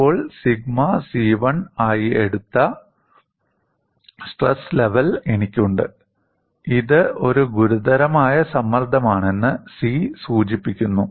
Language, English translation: Malayalam, Now, I have the stress level as, taken as, sigma c1; the c denotes it is a critical stress